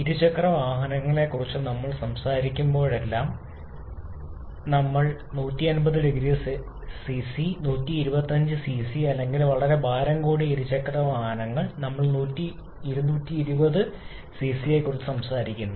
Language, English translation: Malayalam, Like whenever you are talk about say two wheelers, we talk about 150 cc, 125 cc, or very heavy two wheelers we talk about 220 cc